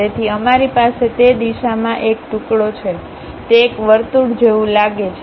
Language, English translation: Gujarati, So, we are having a slice in that direction, it looks like circle